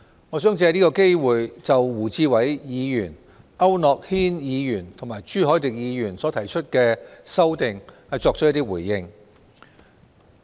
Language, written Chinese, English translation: Cantonese, 我想藉此機會回應胡志偉議員、區諾軒議員和朱凱廸議員所提出的修訂。, Taking this opportunity I would like to respond to the amending motions to be proposed by Mr WU Chi - wai Mr AU Nok - hin and Mr CHU Hoi - dick